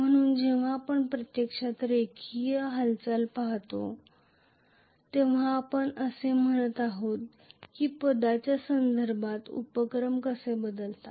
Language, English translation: Marathi, So, when we are actually looking at you know the linear motion for that we are saying that how the inductances varying with respect to the position